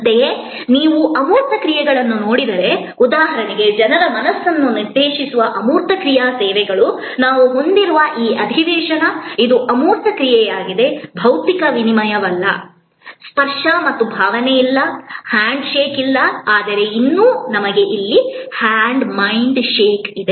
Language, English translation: Kannada, Similarly, if you look at intangible actions, intangible action services directed at the mind of people that is like for example, this session that we are having, it is an intangible action, there is no physical exchange, there is no touch and feel, there is no hand shake, but yet we have a mind shake here